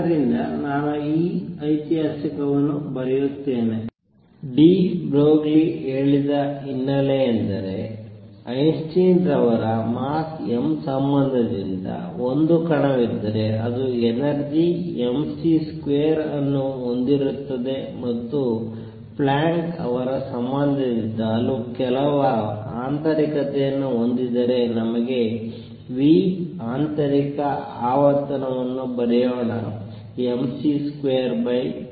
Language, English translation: Kannada, What de Broglie said is if there is a particle of mass m by Einstein relationship it has energy mc square and by Planck’s relationship it has a some internal let us write internal frequency nu which is given by mc square over h